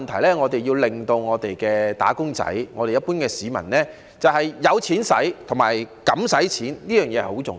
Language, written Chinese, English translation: Cantonese, 第一，我們要令香港"打工仔"及一般市民有錢花及敢花錢，這點很重要。, First we have to enable wage earners and the general public in Hong Kong to have the money and courage to spend . This is very important